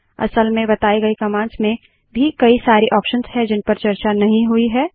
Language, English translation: Hindi, Infact even for all the commands discussed there are many options and possibilities untouched here